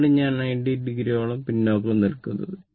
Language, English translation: Malayalam, This is I is lagging by 90 degree